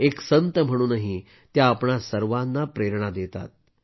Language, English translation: Marathi, Even as a saint, she inspires us all